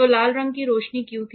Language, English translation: Hindi, So, why there was red colour light